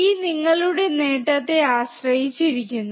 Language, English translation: Malayalam, This depends on your gain